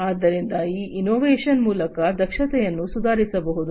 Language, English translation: Kannada, So, improve upon the efficiency through this innovation